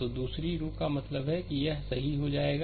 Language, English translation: Hindi, So, second row means this one will go, right